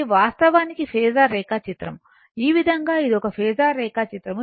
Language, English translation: Telugu, This is actually your ah phasor diagram, this way it is a phasor diagram for this one